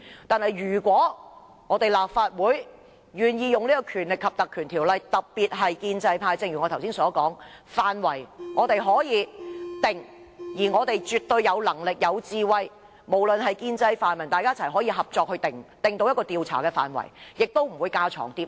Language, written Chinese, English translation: Cantonese, 但是，如果立法會願意援引《條例》成立專責委員會，正如我剛才所說，調查範圍我們可以自行決定，而我們絕對有能力、有智慧，無論是建制或泛民，大家可以合作訂出一個調查範圍，不會架床疊屋。, Yet if the Legislative Council is willing to invoke the Ordinance to set up a select committee we can as I said earlier determine the scope of investigation . Pro - establishment Members and the pan - democrats absolutely have the ability and wisdom to work together to draw up the scope of investigation and avoid duplication